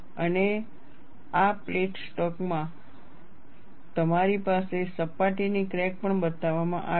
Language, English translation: Gujarati, And in this plate stock, you also have a surface crack shown